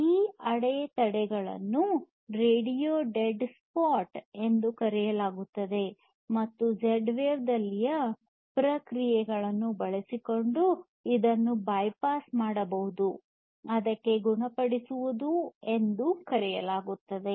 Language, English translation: Kannada, And these obstructions are known as radio dead spots, and these can be bypassed using a process in Z wave which is known as healing